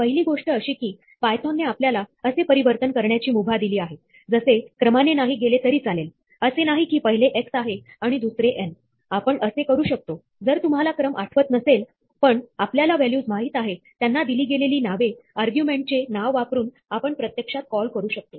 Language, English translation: Marathi, The first thing that python allows us to do flexibly, is to not go by the order; it is not that, the first is x, and the second is n; we can, if you do not remember the order, but we do know the values, the names assigned to them, we can actually call them by using the name of the argument